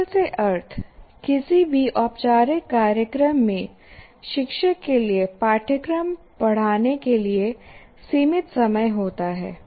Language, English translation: Hindi, Efficient in the sense for in any formal program, there is only limited time available to a teacher when he is teaching a course